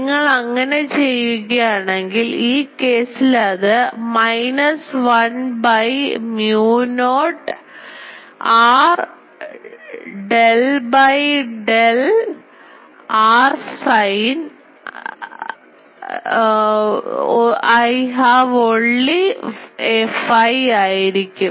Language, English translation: Malayalam, So, if you do that in this case it will be minus 1 by mu naught r del; del r r since I have only a phi